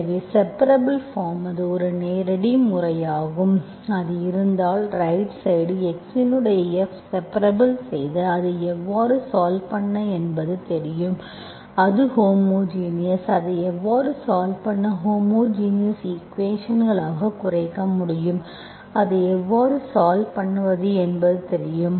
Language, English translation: Tamil, So separable form, that is a direct method, if it is, if the right hand side, F of x is separated, you know how to solve it, it is homogenous, you know how to solve it, non homogeneous equation that can be reduced to homogeneous equations, you know how to solve it